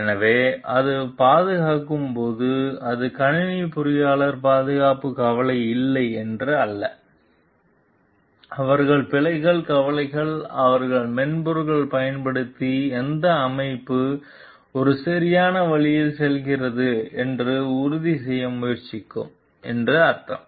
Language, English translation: Tamil, So, when it is affecting it is not that the computer engineers are not concerned with safety; they are concerned with bugs means they are trying to ensure like the system which is using the software is functioning in a proper way